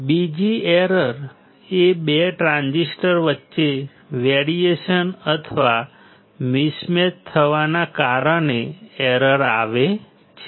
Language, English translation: Gujarati, Error due to variation or mismatch between 2 transistors